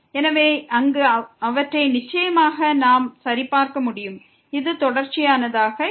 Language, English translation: Tamil, So, there they are certainly not continuous which we can check